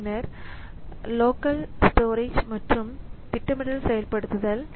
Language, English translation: Tamil, Then the local storage and scheduler activation